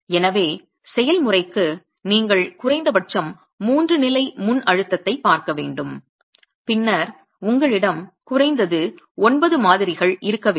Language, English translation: Tamil, And therefore procedure A would require that you look at at least three levels of pre compression and then you would have at least nine specimens in all